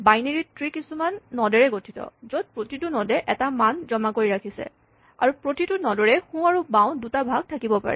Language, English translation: Assamese, A binary tree consists of nodes and each node has a value stored in it and it has possibly a left and a right child